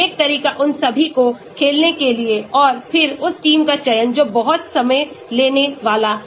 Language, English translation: Hindi, one approaches to make all of them play and then select the team that is going to be very time consuming